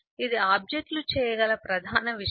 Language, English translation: Telugu, that is the main thing that the objects can do